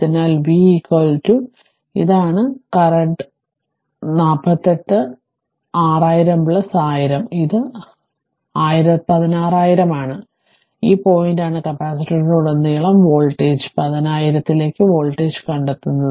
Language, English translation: Malayalam, Therefore, your v is equal to you your this is the current 48 6000 plus 10000, this is 16000 into ah this is this point you find out the voltage across capacitor into your 10000 this much of volt